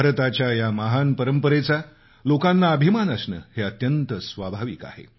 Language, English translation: Marathi, It is natural for each one of us to feel proud of this great tradition of India